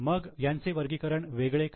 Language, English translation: Marathi, Then why it is classified separately